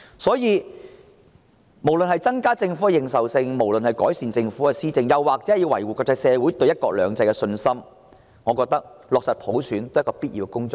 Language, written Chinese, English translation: Cantonese, 所以，無論是為了增加政府認受性，改善政府施政，還是維護國際社會對"一國兩制"的信心，我認為落實普選也是必要的工作。, Hence in my view it is imperative for us to implement universal suffrage whether for the sake of enhancing credibility of the Government and improving government administration or maintaining the confidence of the international community in one country two systems